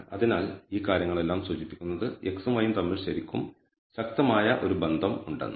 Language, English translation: Malayalam, So, all of these things it is indicating that there is a really strong association between x and y